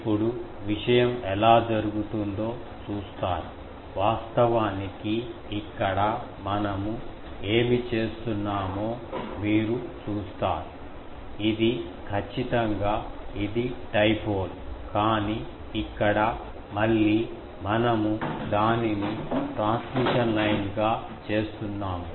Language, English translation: Telugu, Now, will see how the thing happens; actually here you see what we are doing that definitely this is a dipole, but here again we are making it as a transmission line of things